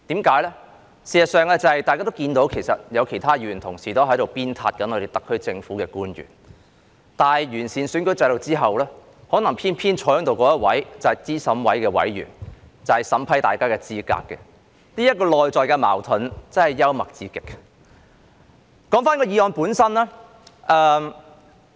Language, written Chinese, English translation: Cantonese, 事實上，大家都看到，有其他議員同事也在鞭撻特區政府的官員，但完善選舉制度後，可能偏偏坐在這裏那一位便是候選人資格審查委員會的委員，負責審核大家的參選資格。, As a matter of fact we all see that some other Members are slamming the officials of the SAR Government . But after the electoral system is improved perhaps the one sitting here is a member of the Candidate Eligibility Review Committee responsible for vetting our eligibility for candidacy